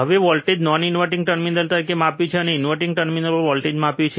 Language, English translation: Gujarati, Now we have measured the voltage as non inverting terminal, we have measured the voltage at inverting terminal